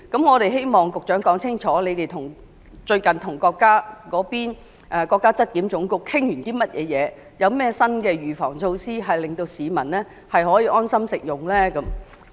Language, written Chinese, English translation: Cantonese, 我們希望局長能說清楚，政府最近與國家質量監督檢驗檢疫總局討論了些甚麼，以及有甚麼新的預防措施，可以令市民安心食用大閘蟹？, We hope that the Secretary can clearly state what the Government has recently discussed with the General Administration of Quality Supervision Inspection and Quarantine and what new preventive measures are in place so that hairy crab lovers can consume with peace of mind?